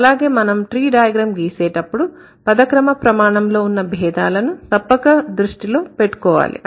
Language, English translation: Telugu, And when you draw the tree you need to keep in mind that this word order difference should be paid attention to